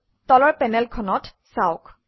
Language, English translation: Assamese, Look at the bottom panel